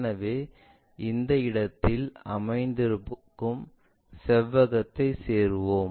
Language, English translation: Tamil, So, let us join the rectangle which is resting in this location